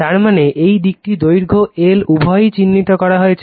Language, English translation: Bengali, That means, this side that is why it is L, , length L both are marked